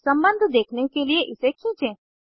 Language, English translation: Hindi, Drag to see the relationship